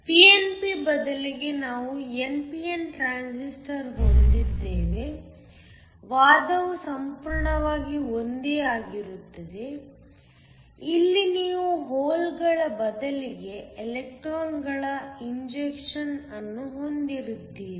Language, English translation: Kannada, Instead of a pnp, if you had an npn transistor the argument is entirely the same, except that here you have injection of electrons instead of holes